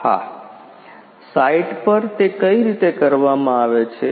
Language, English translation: Gujarati, Yes In site how it is being done